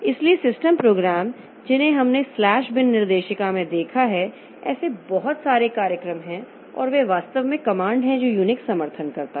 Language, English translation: Hindi, programs, the system programs we have seen like in the slash bin directory there are lots of such programs and there are actually the command that the Unix will support